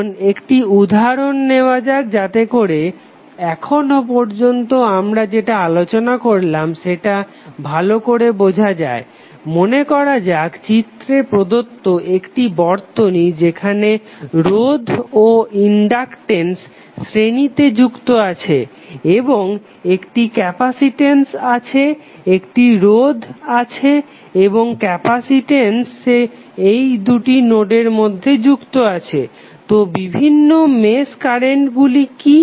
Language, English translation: Bengali, Now let us take one example so that you can further understand what we discus till now, let us say that we have a circuit given in the figure where we have resistance, inductance are connected in series and we have one capacitance, one resistance and one capacitance here between this two nodes, so what are various mesh currents